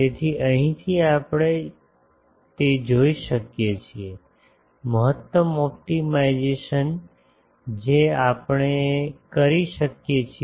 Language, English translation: Gujarati, So, from here we can see that so, the maximise the maxi optimization that we can do